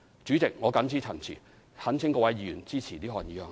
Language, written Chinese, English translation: Cantonese, 主席，我謹此陳辭，懇請各位議員支持這項議案。, With these remarks President I implore Members to support this motion